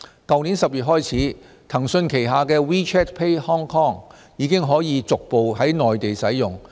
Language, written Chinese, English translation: Cantonese, 去年10月起，騰訊旗下的 WeChat Pay Hong Kong 已經可逐步於內地使用。, Starting from October last year WeChat Pay Hong Kong under Tencent Holdings Limited can be used on the Mainland progressively